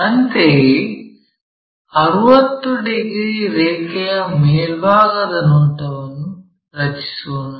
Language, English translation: Kannada, Similarly, let us draw in the top view 60 degrees line